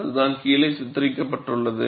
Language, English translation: Tamil, That is what is shown here